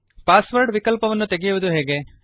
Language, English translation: Kannada, How do we remove the password option